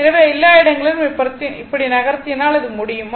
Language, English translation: Tamil, So, everywhere you can if you move like this